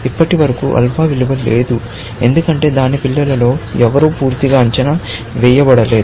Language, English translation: Telugu, So far, we do not have an alpha value, because none of its children is completely evaluated